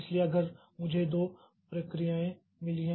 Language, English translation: Hindi, Suppose I have got two processes for example